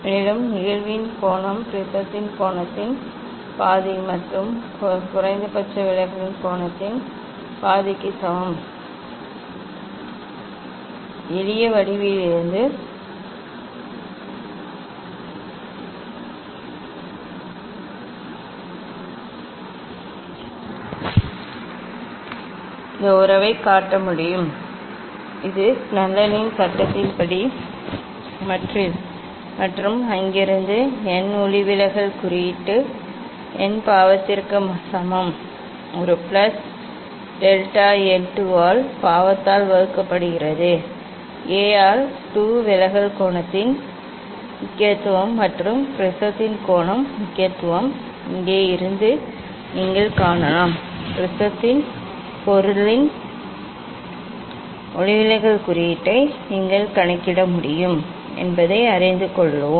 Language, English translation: Tamil, And an angle of incidence is equal to the half of the angle of prism plus half of the angle of minimum deviation, from simple geometry one can shows this relation And this according to the Snell s law and from there n refractive index n equal to sin A plus delta n by 2 divided by sin A by 2 importance of angle of deviation and the importance of angle of the prism one can see from here that if you know then you can find out you can calculate the refractive index of the material of the prism